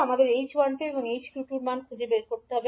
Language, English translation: Bengali, We need to find out the values of h12 and h22